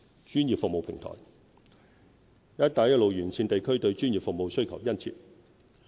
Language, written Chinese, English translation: Cantonese, 專業服務平台"一帶一路"沿線地區對專業服務需求殷切。, Demand for professional services from regions along the Belt and Road is strong